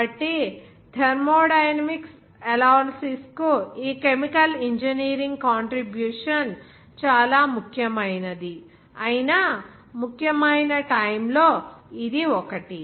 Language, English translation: Telugu, So this is one of the important periods where this chemical engineering contribution to that thermodynamic analysis was significant even remarkable